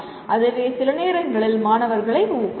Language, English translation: Tamil, That itself can sometimes can be motivating to students